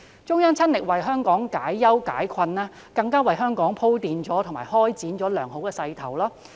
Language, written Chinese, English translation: Cantonese, 中央親力為香港解憂解困，更為香港鋪墊及開展良好的勢頭。, The Central Authorities directly addressed Hong Kongs worries and predicaments and even helped us develop and take on a good momentum